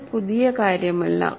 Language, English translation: Malayalam, This is not anything new